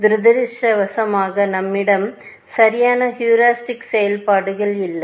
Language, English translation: Tamil, Unfortunately, we do not have perfect heuristic functions